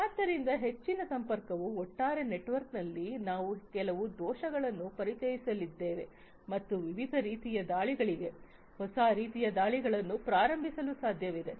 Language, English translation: Kannada, So, so much of connectivity is there that it is quite likely that we are going to introduce some vulnerabilities in the overall network and making it possible for different types of attacks, newer types of attacks to be launched